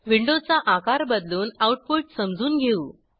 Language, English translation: Marathi, Let me resize the window and explain the output